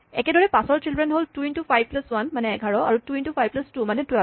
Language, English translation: Assamese, Similarly, children of 5 are 2 into 5 plus 1, which is 11 and 2 into 5 plus 2 which is 12